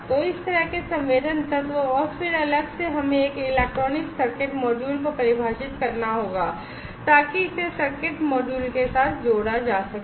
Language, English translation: Hindi, So, this kind of sensing element, and then separately we will have to define a electronic circuit module, so that this can be connected with the circuit module